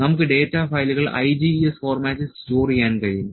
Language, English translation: Malayalam, So, we can store the data files in IGES format